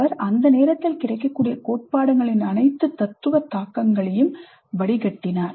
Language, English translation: Tamil, He distilled all the philosophical implications of the theories available up to that time